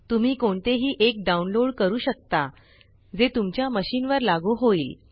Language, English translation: Marathi, You can download any one depending on which is applicable to your machine